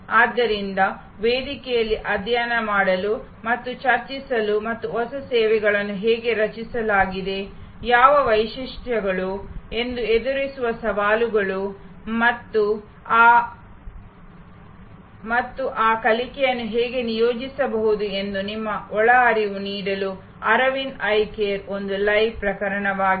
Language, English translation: Kannada, So, Aravind Eye Care is a live case for you to study and discuss on the forum and give your inputs that how the new service has been created, what are the features, what are the challenges they have met and how those learning’s can be deployed in other services